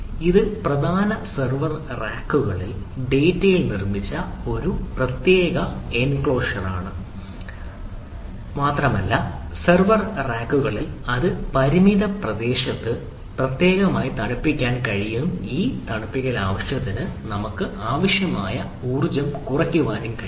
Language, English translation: Malayalam, it is a, a separate enclosure made on the data on the major server racks and the server racks are cooled ah specifically very ah on a, a very ah confined area so that the energy required ah for this cooling purpose can be minimized